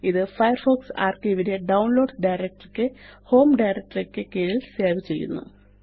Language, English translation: Malayalam, This will save Firefox archive to the Downloads directory under the Home directory